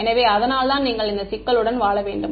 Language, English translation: Tamil, So, that is why you have to live with this problem